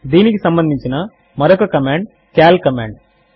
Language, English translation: Telugu, Another related command is the cal command